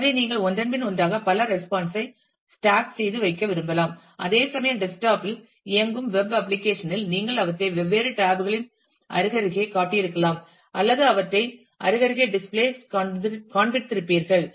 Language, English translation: Tamil, So, you might want to stack multiple responses one after the other whereas, the in a in a web application running on a desktop, you would probably have shown them on different tabs side by side, or would have just shown them side by side on the display